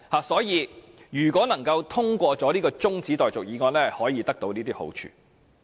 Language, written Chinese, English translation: Cantonese, 所以，如果這項中止待續議案獲得通過，便可以有這些好處。, Hence if this motion for adjournment of debate is passed there will be these merits